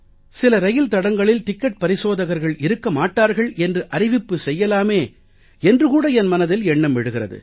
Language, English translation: Tamil, Sometimes I feel that we should publicly announce that today on this route of the railways there will be no ticket checker